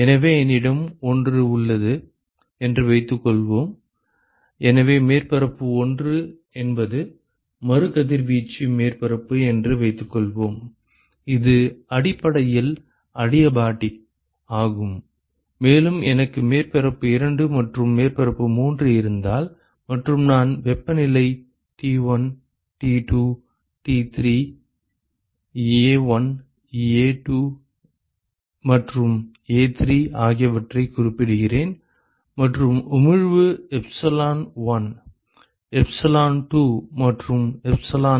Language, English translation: Tamil, So, suppose I have a; so suppose surface 1 is the re radiating surface, which is basically adiabatic, and if I have surface 2 and surface 3 and I specify the temperatures T1, T2, T3, A1, A2, and A3 and the emissivity is epsilon1, epsilon2 and epsilon3